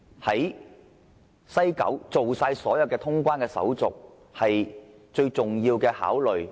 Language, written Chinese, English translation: Cantonese, 在西九龍站辦好所有通關手續是否他們最重要的考慮？, Is it their prime concern that immigration and customs clearance must be completed at the West Kowloon Station?